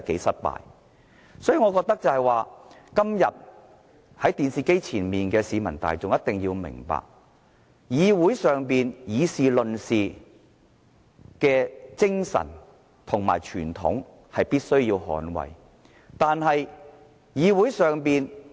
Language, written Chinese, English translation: Cantonese, 所以，我覺得今天在電視機前的市民大眾一定要明白，立法會議事論事的精神和傳統，是必須捍衞的。, Thus I think people watching the television broadcast today must understand that we must uphold the spirit and tradition of deliberation of the Legislative Council